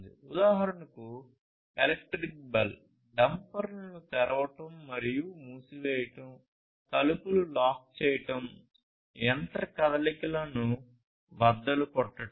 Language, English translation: Telugu, So, electric bell opening and closing of dampers, locking doors, breaking machine motions and so on